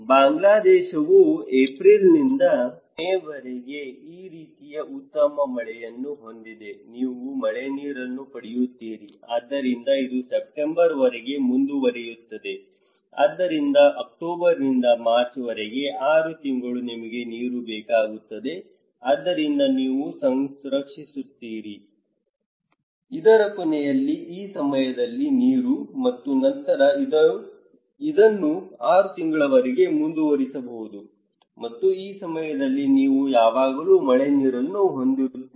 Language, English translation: Kannada, Bangladesh which has a very good rainfall like this one from April to May, you get a rainwater so, it continues till September so, from October to March, 6 months you need water so, you preserve water during this time in the end of this and then you can continue for this 6 months and during this time you have always rainwater